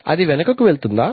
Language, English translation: Telugu, Does it go back